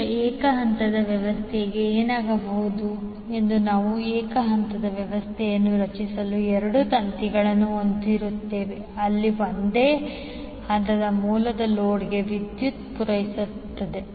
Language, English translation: Kannada, Now, in case of single phase system what will happen we will have two wires to create the single phase system where one single phase source will be supplying power to the load